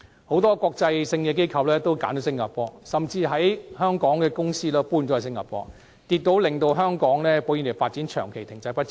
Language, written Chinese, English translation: Cantonese, 很多國際機構都選擇在新加坡落戶，甚至一些原本設於香港的公司也搬遷到新加坡，令香港保險業發展長期停滯不前。, Many international organizations have chosen to settle in Singapore while some companies which were originally located in Hong Kong have relocated to Singapore causing the insurance industry to remain at a sustained standstill